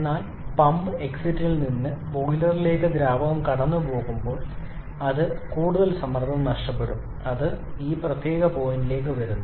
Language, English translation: Malayalam, But when the fluid passes from pump exit to the boiler that is further pressure loss, because of which it comes down to this particular point 3